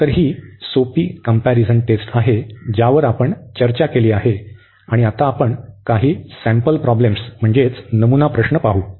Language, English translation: Marathi, So, these are the simple comparison test which we have discussed and now we will go for some problems sample problems